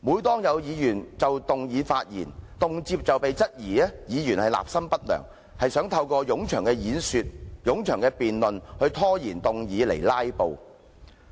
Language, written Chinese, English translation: Cantonese, 就議案發言的議員，動輒被質疑立心不良，是透過冗長演說、冗長辯論、拖延議案來"拉布"。, Members who have spoken on the motion are very often condemned for having the ill intention of filibustering by making lengthy speeches and debates